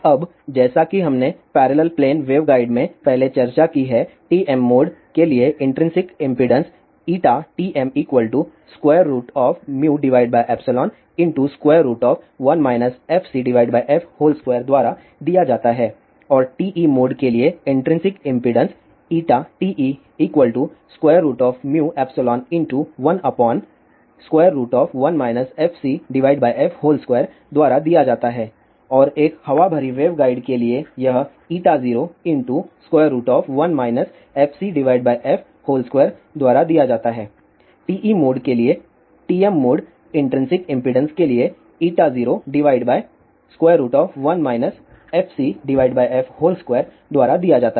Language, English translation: Hindi, Now, as we have discussed earlier inparallel plane waveguide, the intrinsic impedance for TM mode is given by under root mu by epsilon into one minus fc by f whole square and the intrinsic impedance for TE mode is given by under root mu by epsilon 1 upon under root 1 minus fc by f whole square and for a air filled waveguide, it is given by this for TM mode intrinsic impedance for TE mode is given by this